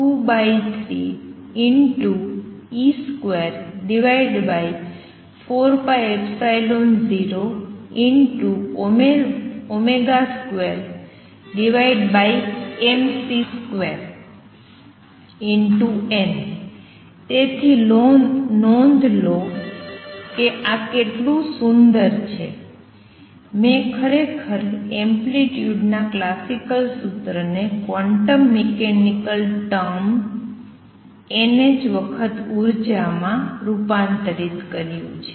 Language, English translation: Gujarati, So, notice how beautifully, I have actually converted a classical formula for amplitude to a quantum mechanical quantity n h cross energy